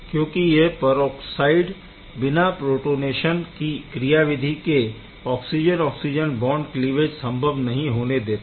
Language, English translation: Hindi, So, this peroxide unit itself without the protonation cannot undergo the oxygen oxygen bond cleavage